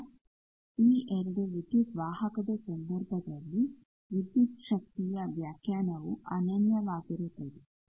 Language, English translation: Kannada, Now, in case of 2 conductor line this voltage definition is unique